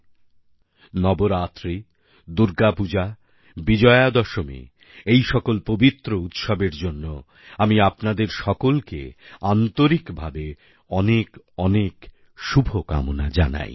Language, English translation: Bengali, My dear countrymen, be it Navratri, Durgapuja or Vijayadashmi, I offer all my heartfelt greetings to all of you on account of these holy festivals